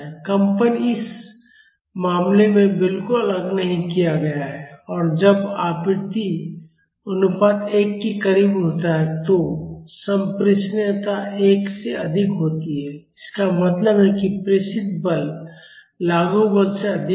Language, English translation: Hindi, The vibration is not at all isolated in this case and when the frequency ratio is close to one the transmissibility is higher than one; that means, the transmitted force is more than the applied force